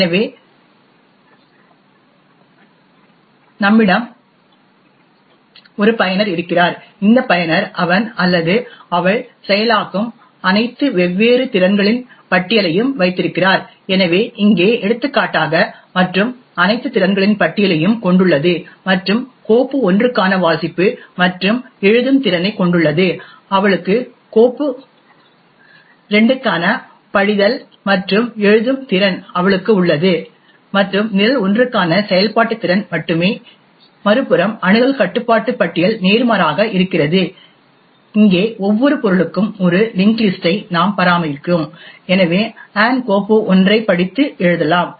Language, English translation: Tamil, So we have a user and this user owns a list of all the different capabilities that he or she processes, so for example over here and has a list of all the capabilities and has the read and write capability for file 1, she has the read and write capability for file 2 and only the execute capability for program 1 right, on the other hand the access control list is exactly the opposite, here we maintain a link list for each object, so for example file 1 can be read and written to by Ann and Ann is also the owner of this file 1 and Bob can only read the file, he does not have any other permission for this particular file